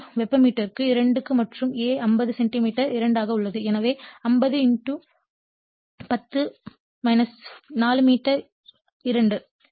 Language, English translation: Tamil, 5 Weber per meter square and A is 50 centimeter square so, 50 * 10 to the power minus 4 meter square